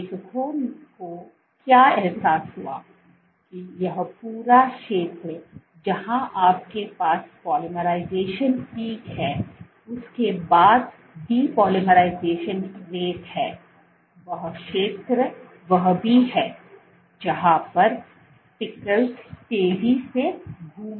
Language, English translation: Hindi, So, this entire zone where you have polymerization peak followed by the depolymerization rated is also the zone where the speckles are fast moving